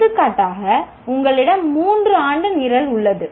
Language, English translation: Tamil, For example, you have a three year program